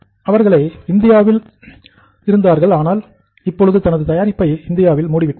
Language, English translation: Tamil, They are into India also but I think they are closing operations from India